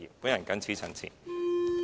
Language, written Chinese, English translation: Cantonese, 我謹此陳辭。, These are my remarks